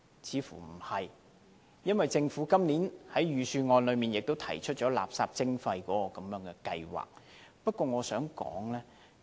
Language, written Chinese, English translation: Cantonese, 似乎不是，因為政府今年在預算案也提出垃圾徵費計劃。, I think the answer is probably in the negative because the Government has proposed a waste charging scheme in the Budget